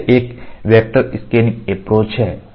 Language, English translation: Hindi, So, this is a vector scan approach